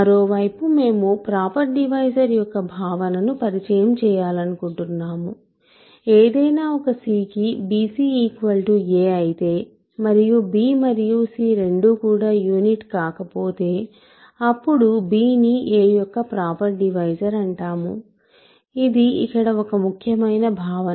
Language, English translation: Telugu, On the other hand, we want to introduce the notion of a proper divisor we say that b is a proper divisor of a if, of course, first of all b divides if b c is equal to a for some c and neither b nor c is a unit so, this is an important notion here